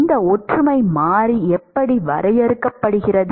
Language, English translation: Tamil, And that is how this similarity variable is defined